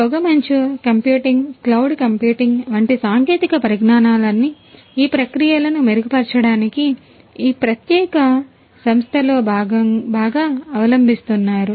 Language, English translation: Telugu, So, all of these technologies the fog computing, the cloud computing all of these technologies could be very well adopted in this particular company to improve their processes